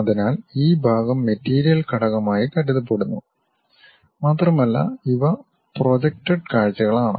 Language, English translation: Malayalam, So, this part supposed to be material element and these are projected views